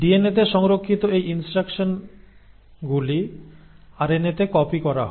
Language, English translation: Bengali, Now these instructions which are stored in DNA are then copied into RNA